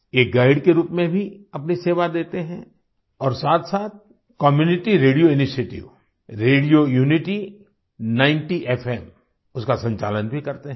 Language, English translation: Hindi, They also serve as guides, and also run the Community Radio Initiative, Radio Unity 90 FM